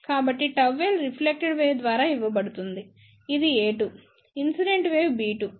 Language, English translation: Telugu, So, gamma L is given by reflected wave which is a 2, incident wave which is b 2